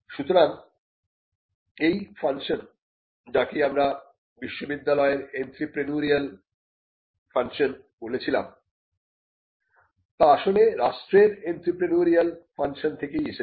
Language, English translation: Bengali, So, this function what we called an entrepreneurial function of the university, actually came out from the entrepreneurial function of the state itself